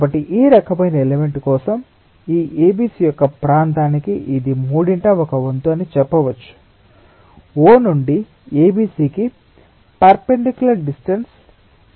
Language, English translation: Telugu, so for this type of element we can say that it is one third of one third into the area of this a, b, c times the perpendicular distance from o to a, b, c